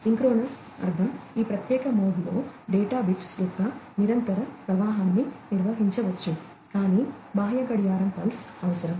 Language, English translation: Telugu, Synchronous meaning that in this particular mode a continuous stream of bits of data can be handled, but requires an external clock pulse